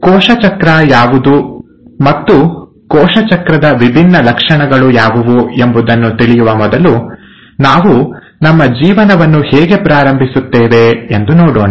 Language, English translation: Kannada, Now before I get into what is cell cycle and what are the different features of cell cycle, let’s start looking at how we start our lives